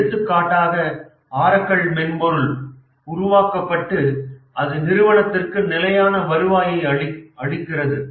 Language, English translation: Tamil, For example, Oracle software, once it was developed, it gives a steady revenue to the company